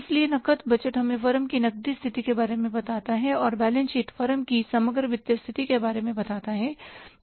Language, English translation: Hindi, So, cash budget tells us about the cash position of the firm and the balance sheet tells about the overall financial position of the firm